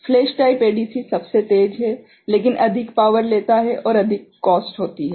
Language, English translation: Hindi, Flash type ADC is fastest, but takes more power and costs more